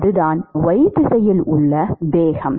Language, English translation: Tamil, That is the momentum in the y direction